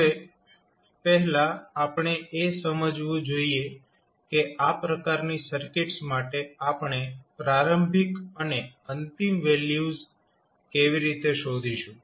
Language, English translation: Gujarati, Now, the first thing which we have to understand that how we will find the initial and final values for these types of circuits